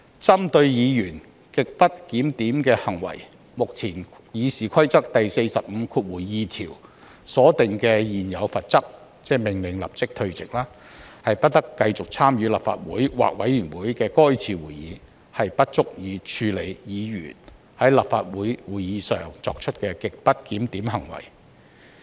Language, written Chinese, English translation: Cantonese, 針對議員極不檢點的行為，目前《議事規則》第452條所訂的現有罰則——即命令有關議員立即退席，不得繼續參與立法會或委員會的該次會議——不足以處理議員在立法會會議上作出的極不檢點行為。, With respect to the grossly disorderly conduct of a Member the existing sanction under RoP 452―ie . the Member concerned shall be ordered to withdraw immediately from the Council or the committee for the remainder of that meeting―is inadequate in dealing with the grossly disorderly conduct committed by a Member in a Legislative Council meeting